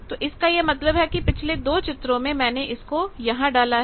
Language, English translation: Hindi, Now, that means, that in this the previous 2 pictures I have put here